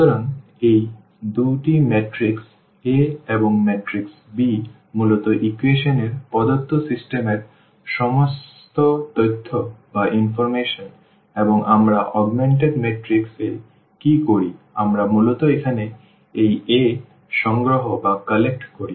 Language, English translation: Bengali, So, these two the matrix A and the matrix b basically have all the information of the given system of equations and what we do in the augmented matrix we basically collect this a here